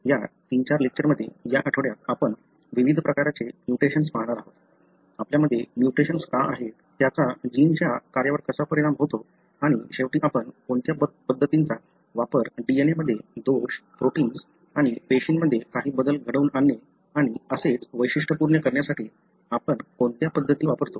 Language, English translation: Marathi, In this 3 4 lectures, this week we are going to look into the various different types of mutation that we have, why do we have the mutations, how it affects the gene function and finally what kind of methods we use to characterize how a defect in the DNA, bring about some changes in the protein and cell and so on